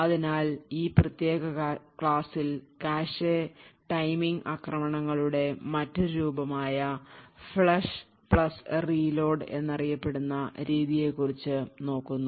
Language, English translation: Malayalam, So, in this particular lecture we will be looking at another form of cache timing attacks known as the Flush + Reload